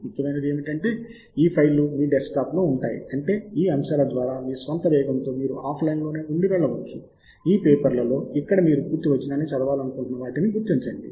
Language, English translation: Telugu, what is more important is that these files reside on your desktop, which means that you can go through these items at your own pace offline and identify those are among these papers where you want to read the full text